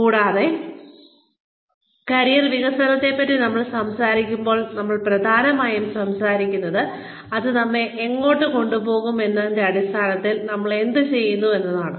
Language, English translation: Malayalam, And, when we talk about, career development, we are essentially talking about, learning more about, what we are doing, in terms of, where it can take us